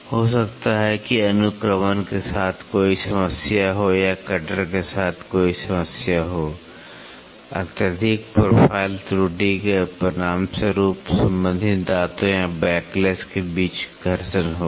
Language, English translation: Hindi, Maybe a problem with the indexing or maybe a problem with the cutter, excessive profile error will result in either friction between the mating teeth or backlash